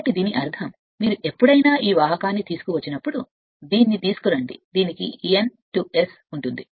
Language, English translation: Telugu, So that means, that means whenever this the when you are bringing this conductor say bringing this it is given N S, N S like this